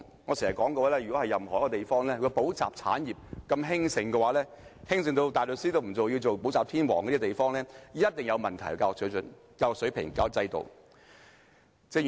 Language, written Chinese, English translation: Cantonese, 我經常說，如有任何一個地方補習產業如此興盛，興盛到有人連大律師都不做，寧願做補習天王，這個地方的教育水準、教育水平及教育制度一定有問題。, As I have always said if the tutoring industry in a certain place is so prosperous that one would rather be a tutor king than a barrister there must be something wrong with the standard level and system of education in that place